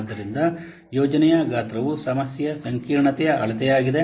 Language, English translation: Kannada, So, project size is a measure of the problem complexity